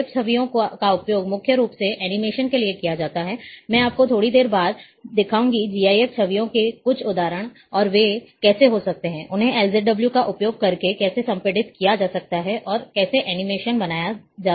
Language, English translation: Hindi, GIF images are mainly used for animations, I will show you little later, some examples of GIF images, and how they can be, how they can be compressed using LZW and, how animations can be created